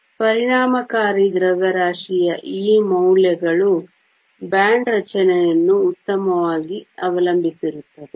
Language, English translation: Kannada, So, these values of the effective mass depend upon the band structure fine